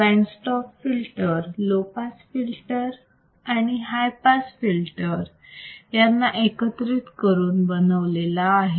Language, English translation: Marathi, So, band stop filters can be again design or can be formed by using low pass and high pass filter